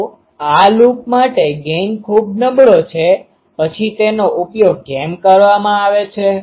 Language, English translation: Gujarati, So, gain is very poor for this loop then why it is used